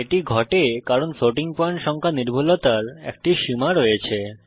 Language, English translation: Bengali, This happens because there is a limit to the precision of a floating point number